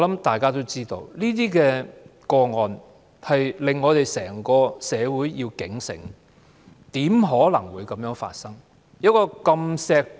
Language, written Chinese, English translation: Cantonese, 大家都知道，這些個案警醒整個社會，怎可能會發生這樣的事？, As known to all this case was alarming to the whole society How could this tragedy happen?